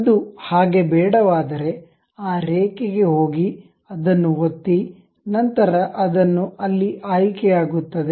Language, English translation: Kannada, If that is not the case we go click that line then it will be selected there